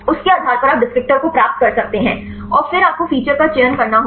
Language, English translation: Hindi, Based on that you can derive the descriptors and then you have to do the feature selection